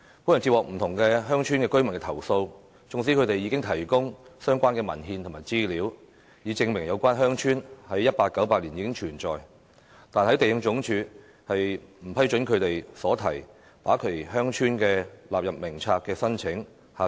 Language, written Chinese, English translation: Cantonese, 本人接獲不同鄉村居民的投訴，縱使他們已提供相關文獻及資料，以證明有關鄉村自1898年起已存在，但地政總署仍不批准他們所提把其鄉村納入《名冊》的申請。, I have received complaints from residents of different villages alleging that LandsD did not approve their applications for including their villages in the List even though they had provided the relevant documents and information to prove that the villages concerned have been in existence since 1898